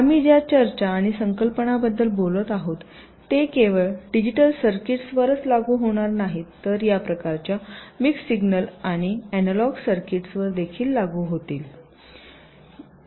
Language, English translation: Marathi, so whatever discussions and concepts we would be talking about, they would apply not only to digital circuits but also to this kind of mix signal and analog circuits as well